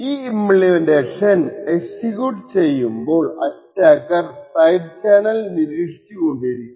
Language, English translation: Malayalam, Now as this implementation is executing within this device we have an attacker who is monitoring the device side channel